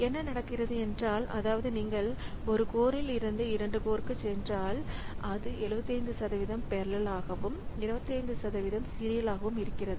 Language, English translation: Tamil, So, that means if you go from one processor to 2 processor and the code is such that it is 75% parallel and 25% serial